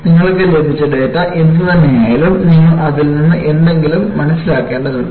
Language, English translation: Malayalam, Whatever the data that you have got, you need to make some sense out of it